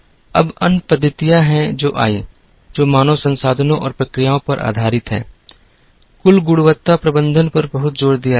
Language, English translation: Hindi, Now, there are other methodologies that came, that are based on human resources and processes, there is a tremendous emphasis on total quality management